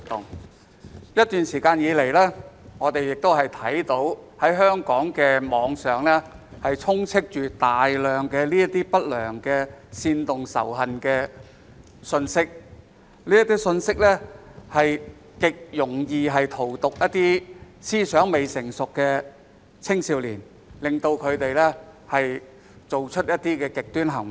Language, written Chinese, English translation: Cantonese, 在過去一段時間，我們看到香港網上充斥大量不良及煽動仇恨的信息，而這些信息極容易荼毒思想未成熟的青少年，令他們做出極端行為。, In the past period of time many unwholesome messages inciting hatred were found on the Internet in Hong Kong . Those messages are likely to poison young people with immature minds causing them to commit extreme acts